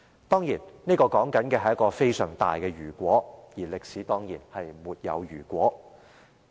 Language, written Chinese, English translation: Cantonese, 誠然，這是一個非常大的"如果"，歷史也必然沒有如果。, This is undoubtedly a very bold hypothesis and there is absolutely no if in history